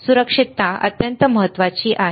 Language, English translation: Marathi, Safety is extremely important all right